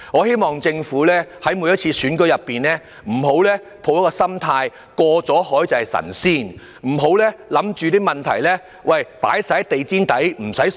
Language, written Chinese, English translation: Cantonese, 希望政府在每次選舉時，不要抱着"過了海便是神仙"的心態，不要把問題掃進地毯底，便不予正視。, After an election is held the Government should not adopt the attitude that it would not be under check and could simply sweep all the problems under the carpet